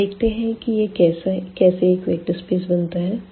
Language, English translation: Hindi, And the question is whether this V forms a vector space